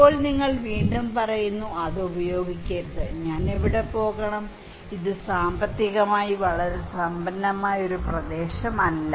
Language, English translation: Malayalam, Now, you are again saying that do not use that one, where should I go; it is not a very prosperous area economically